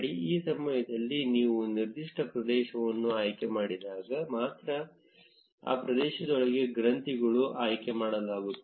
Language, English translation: Kannada, And this time, when you select a particular area, only the nodes within that area will be selected